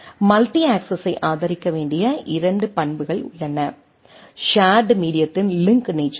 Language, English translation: Tamil, And there are two characteristics it must support multi access, shared medium nature of link